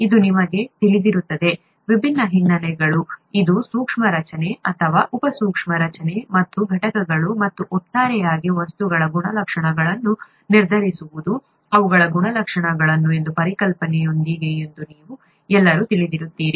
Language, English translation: Kannada, This you would all be familiar with, different backgrounds, you would all be familiar with this concept that it is a microscopic structure, or a sub microscopic structure and components and their properties that determine the properties of materials as a whole